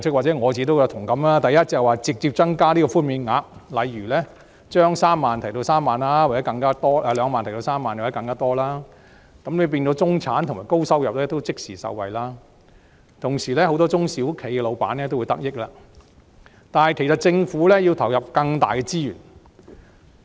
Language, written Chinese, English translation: Cantonese, 第一，直接增加寬免額，例如把上限2萬元提升至3萬元或更多，讓中產及高收入人士也能即時受惠的同時，也能令很多中小企的老闆得益，但當然政府要投入更多資源。, First the concession amount should be increased from 20,000 to 30,000 or higher so as to benefit the middle - class as well as owners of SMEs . But of course the Government has to allocate more resources